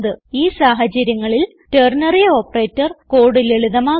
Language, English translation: Malayalam, This is when ternary operator makes code simpler